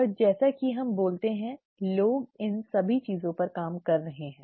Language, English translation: Hindi, And as we speak, people are working on all these things